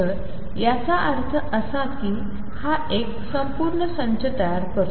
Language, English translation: Marathi, So, this means that this forms a complete set